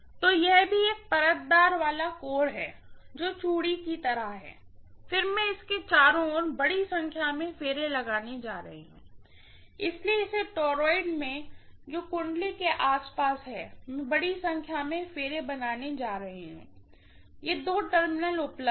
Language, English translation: Hindi, So that is also a laminated core which is like a bangle and then I am going to put huge number of turns around it, so in this toroid which is actually around the coil I am going to make huge number of turns, these are the two terminals that are available